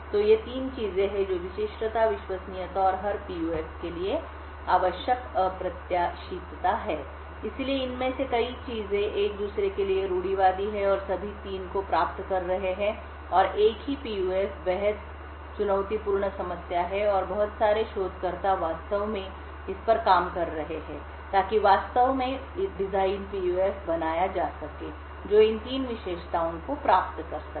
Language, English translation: Hindi, So, these are the 3 things the uniqueness, reliability, and the unpredictability that is required for every PUF, So, many of these things are orthogonal to each other and achieving all 3 and the same PUF is extremely challenging problem and a lot of researchers are actually working on this to actually create design PUFs which could achieve all of these 3 features